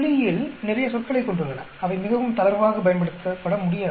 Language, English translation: Tamil, Statistics has lot of terms, which cannot be used very loosely